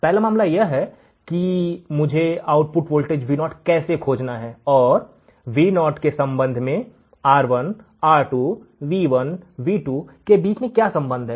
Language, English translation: Hindi, First case is how I have to find the output voltage Vo, the relation between the R2, R1, V1, V2 with respect to Vo